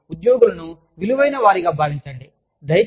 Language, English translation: Telugu, So, make employees, feel valued